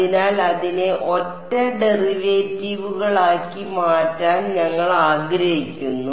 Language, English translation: Malayalam, So, we would like to convert it into single derivatives right